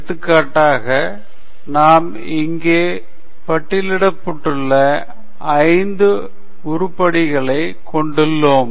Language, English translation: Tamil, So, for example, here we have five items listed here